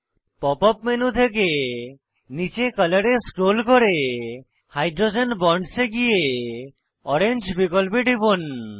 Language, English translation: Bengali, From the Pop up menu scroll down to Color then Hydrogen Bonds then click on orange option